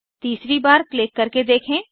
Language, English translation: Hindi, Try to click for the third time